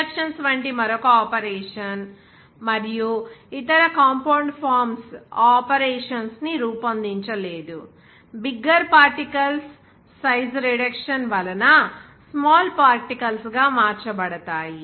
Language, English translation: Telugu, Another operation like reactions and there were no other compound forms those operations, like size reduction bigger particles to be converted to the smaller particles